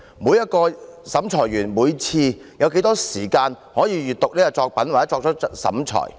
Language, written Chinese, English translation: Cantonese, 每名審裁委員每次有多少時間閱讀作品以作出審裁？, How much time an adjudicator is allowed to examine an article before making a classification?